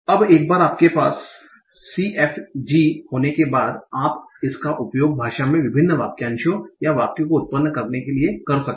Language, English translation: Hindi, So, now, once you have the CFG, you can use that to generate various phrases or sentences in language